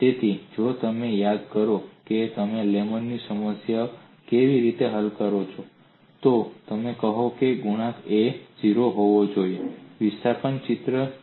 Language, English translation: Gujarati, So if you recall how you have solved the Lame’s problem, you would say a coefficient A has to be 0, by looking at the displacement picture